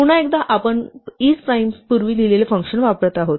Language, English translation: Marathi, Once again, now we have use a function we have written before isprime